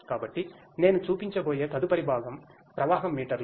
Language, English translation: Telugu, So, the next component that, I am going to show are the flow meters